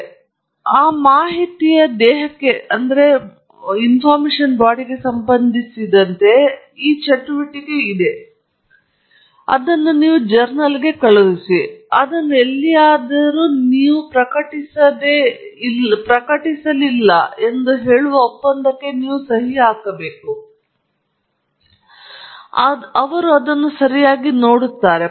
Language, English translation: Kannada, So, with respect to that body of the data it’s a one time activity; you send it to a journal; you are supposed to sign an agreement saying that you have not published it anywhere else, they look at it okay